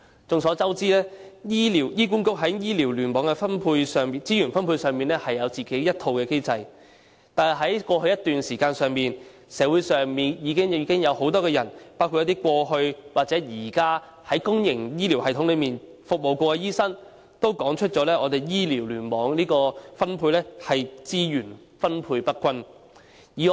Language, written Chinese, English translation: Cantonese, 眾所周知，香港醫院管理局在醫療聯網的資源分配上，有自己的一套機制，但在過去一段時間，社會上很多人，包括過去或現時在公營醫療系統內服務的醫生均指出，醫療聯網的資源分配不均。, As we all know the Hong Kong Hospital Authority HA has its own mechanism for distribution of resources among the hospital clusters . However over the past period many people in the community including doctors who served in the public healthcare system in the past or who are doing so now have pointed out the uneven distribution of resources among the hospital clusters